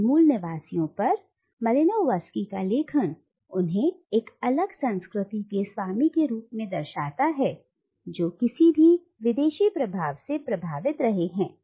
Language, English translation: Hindi, Now Malinowski’s writings on these natives represent them as the possessor of a distinct culture which has remained uncontaminated by any foreign influence